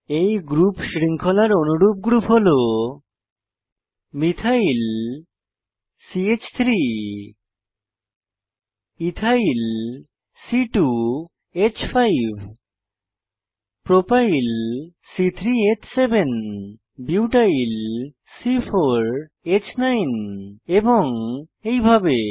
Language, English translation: Bengali, Homologues of the Alkyl group series include, Methyl CH3 Ethyl C2H5 Propyl C3H7 Butyl C4H9 and so on